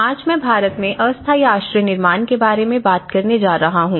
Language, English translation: Hindi, Today, I am going to talk about temporary shelter construction in India